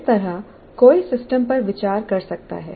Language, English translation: Hindi, So that is how one can consider the system